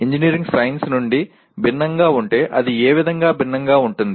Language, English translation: Telugu, If engineering is different from science in what way it is different